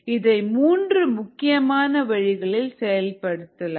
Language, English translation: Tamil, there are three major ways in which this is done